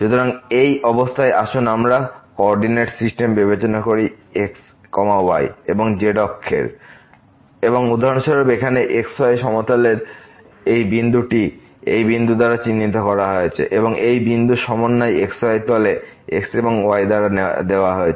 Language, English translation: Bengali, So, in this situation let us consider the coordinate system of and axis and for example, this is the point in the plane denoted by this point here and the coordinate of this point in the plane are given by and